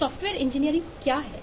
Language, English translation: Hindi, so what is engineering